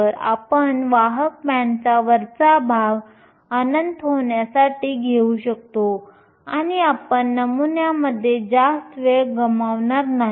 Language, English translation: Marathi, So, we can take the top of the conduction band to be infinity and we will not lose much in the model